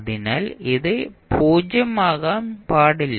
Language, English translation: Malayalam, So, this cannot be 0